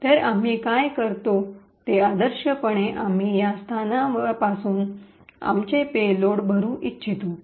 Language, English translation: Marathi, So, what we do is ideally we would like to fill our payloads starting from this location